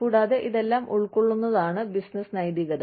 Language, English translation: Malayalam, And, all that constitutes, business ethics